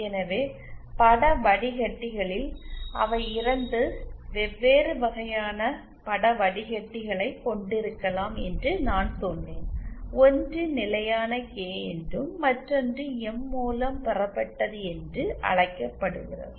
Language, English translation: Tamil, So in image filters as I said that they can have two different types of image filters one is known as the constant K and the other is known as the m derived